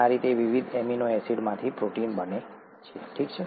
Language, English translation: Gujarati, This is how a protein gets made from the various amino acids